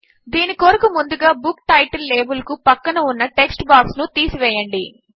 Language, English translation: Telugu, For this, let us first remove the text box adjacent to the Book Title label